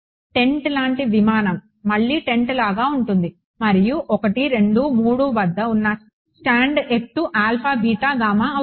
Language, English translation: Telugu, A plane like a like a tent again like a tent and the height of the stand at 1 2 and 3 is alpha beta gamma right